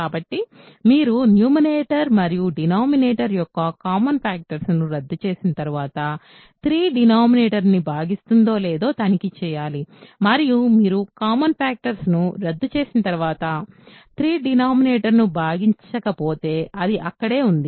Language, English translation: Telugu, So, you have to check whether 3 divides the denominator or not after you cancel the common factor of numerator and denominator and after you cancel the common factors, if 3 does not divide the denominator, it is there